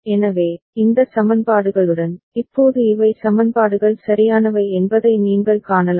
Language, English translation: Tamil, So, with these equations, now you can see these are the equations right